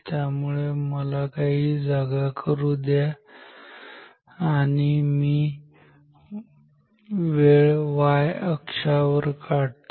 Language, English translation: Marathi, So, let me let me make some space and now I will draw time along the y axis